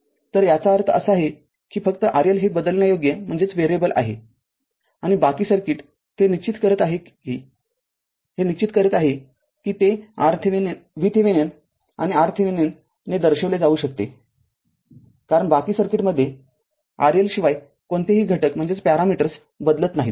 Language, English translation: Marathi, So that means, only R L is variable and rest of the circuit, you are fixing it right, it is a fixed thing that is can be represented by V Thevenin and R Thevenin, because you are not changing any parameters in the rest of the circuit apart from R L